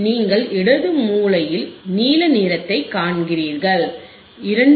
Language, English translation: Tamil, You see blue one on the left corner, you can you point it out 3